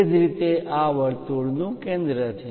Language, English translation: Gujarati, Similarly, there is center of this circle